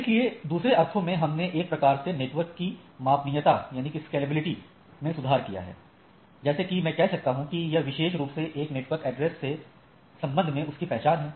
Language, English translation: Hindi, So, in other sense we have improved some sort of scalability like I can say that this is identify that particular with respect to a network address